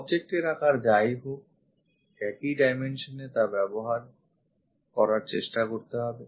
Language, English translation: Bengali, Whatever the object size the same dimensions try to use it